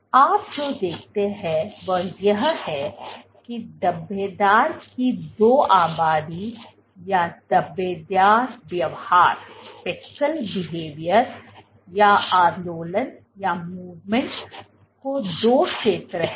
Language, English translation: Hindi, So, what you see that there are two populations of speckles or two zones of speckle behavior or movement